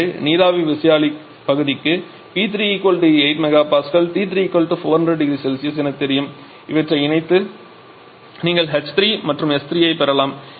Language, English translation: Tamil, So for the steam turbine part we know that P 3 is equal to 8 mega Pascal T 3 is equal to 400 degree Celsius combine these you can get h 3 S 3